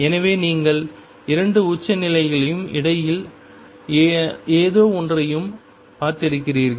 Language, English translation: Tamil, So, you have seen the 2 extremes as well as something in between